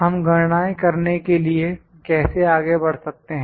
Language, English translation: Hindi, How could we proceed to do the calculations